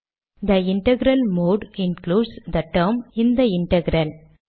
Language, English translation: Tamil, The integral mode includes the term this integral